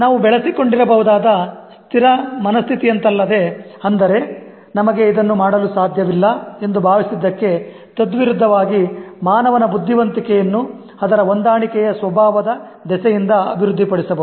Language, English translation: Kannada, Unlike the fixed mindset that we might have developed or contrary to what we think that we cannot do that, human intelligence as such can be developed because of its adaptable nature